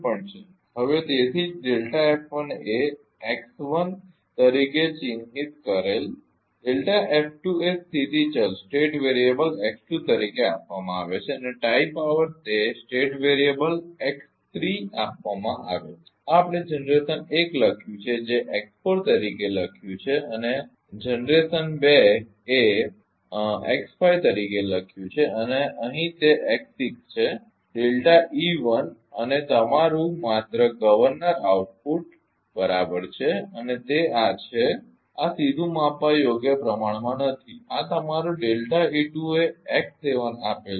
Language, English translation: Gujarati, So, that is why the delta F 1 is mark as x 1 delta F 2 is given as a state variable x 2 and tie power it is given state variable x 3 this we have written generation 1 written as x 4 and generation 2 written as a x 5 and as here it is x 6 is delta E 1 and your just governor output right something and it this there is a these are the quantity not directly measurable and this is your delta E 2 is given x 7